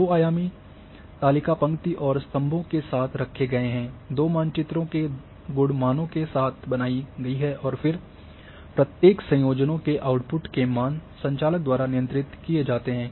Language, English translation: Hindi, The two dimensional table is formed with attributes values of the two maps placed along row and columns and then output values of each combination of values is controlled by the operator